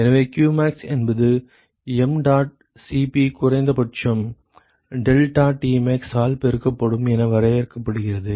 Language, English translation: Tamil, So, therefore, qmax is essentially defined as mdot Cp minimum multiplied by deltaTmax